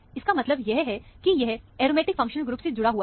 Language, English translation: Hindi, This would mean that, it is attached to an aromatic functional group